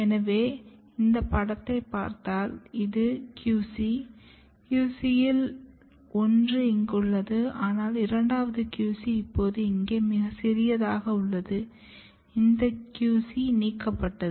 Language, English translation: Tamil, So, if you look this picture, so this is your QC, one of the QC is here, but second QC which is now very small here this QC is ablated